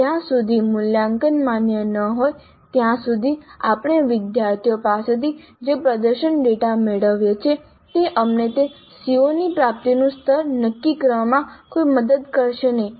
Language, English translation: Gujarati, Unless the assessment is valid, the performance data that we get from the students will not be of any help to us in determining what is the level of attainment of that CO